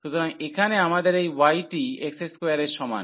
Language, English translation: Bengali, So, here we have this y is equal to x square